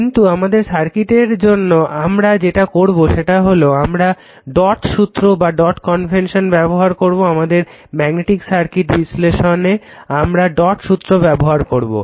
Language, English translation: Bengali, But for our circuit analysis what we will do we will apply the dot convention in circuit analysis, in our magnetic circuit analysis or this thing will apply that dot convention right